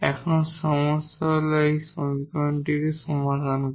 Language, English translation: Bengali, The problem here is that solving this equation because this is not an ordinary equation